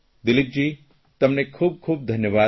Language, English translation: Gujarati, Dilip ji, thank you very much